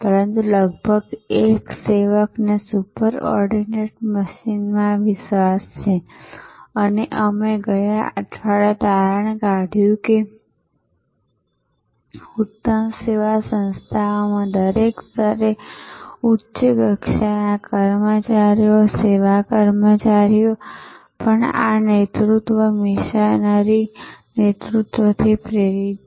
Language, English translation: Gujarati, But, almost a servant like belief in a super ordinate machine and we concluded last week that in excellent service organizations, even the frontline employees, service personnel at every level are inspired by this leadership, missionary leadership